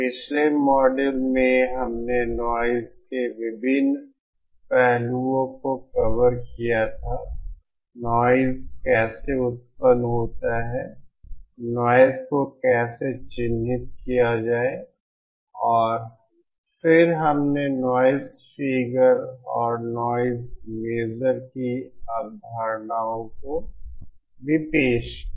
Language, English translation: Hindi, In the previous module we had covered the various aspects of noise how noise originates how to characterize noise and then we also introduced the concept of noise figure and noise measure